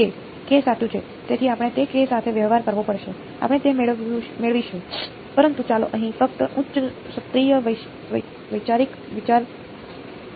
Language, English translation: Gujarati, k right, so we will have to deal with that k we will get to that, but let us just look at the high level conceptual idea here